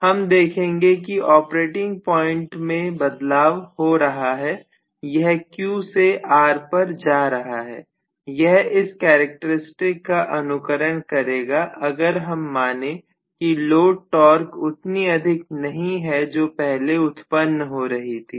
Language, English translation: Hindi, So you are going to have the operating point shifting from Q to R and again, this is going to traverse this particular characteristic assuming that the load torque is not as high as what we had developed earlier